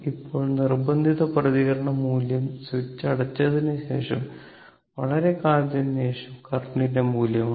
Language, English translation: Malayalam, Now, forced response is the value of the current after a long time after the switch figure is closed, right